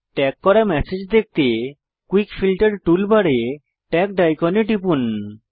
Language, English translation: Bengali, To view messages that are tagged, from the Quick Filter toolbar, click on the icon Tagged